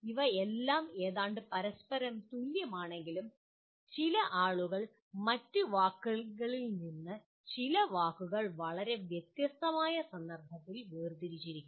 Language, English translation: Malayalam, While all of them are approximately equal to each other, but some people have differentiated some words from the others to in a very very specific context for want of other word